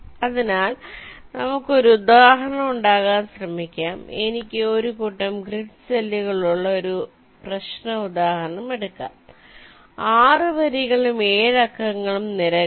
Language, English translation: Malayalam, lets take a problem instance like this, where i have a set of grid cells six number of rows and seven number or columns